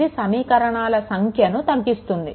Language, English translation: Telugu, So, it reduces the number of equation